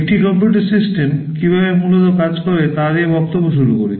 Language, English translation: Bengali, Let us start with how a computer system works basically